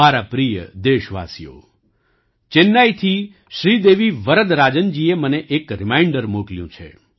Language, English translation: Gujarati, My dear countrymen, Sridevi Varadarajan ji from Chennai has sent me a reminder